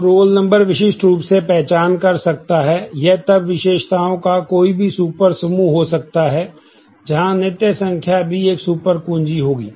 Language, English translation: Hindi, So, roll number can uniquely identify, if it can then any super set of attributes, which continual number will also be a super key